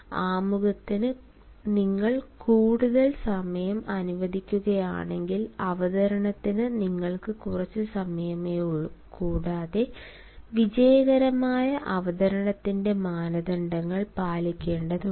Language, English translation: Malayalam, if you allow more time to introduction, you will have less time for the presentation and because you have to follow the norms of a successful presentation